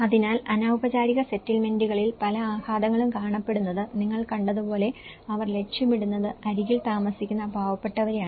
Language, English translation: Malayalam, So, as you have seen that many of the impacts are seen in the informal settlements, they are targeting the poor living on the edge